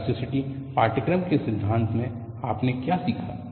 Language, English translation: Hindi, In theory of elasticity course, what you learned